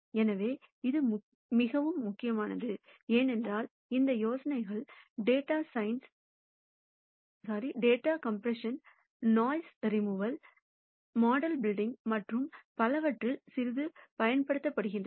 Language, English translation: Tamil, So, this is very important, because these ideas are used quite a bit in data compression, noise removal, model building and so on